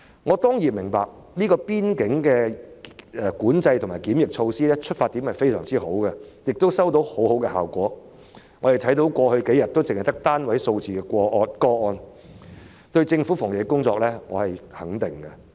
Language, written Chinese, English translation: Cantonese, 我當然明白邊境管制和檢疫措施的出發點非常好，亦收到很好的效果，我們看到過去數天只有單位數字的確診個案，我對政府的防疫工作表示肯定。, I certainly understand that the border control and quarantine measures are well - intentioned and are very effective as we see that the number of confirmed cases in the past several days is only in the single digits . I appreciate the anti - epidemic work of the Government